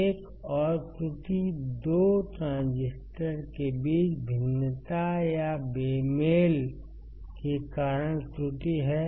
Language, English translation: Hindi, Error due to variation or mismatch between 2 transistors